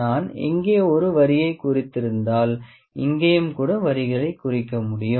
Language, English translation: Tamil, If I have marked a line here, I can even mark the lines here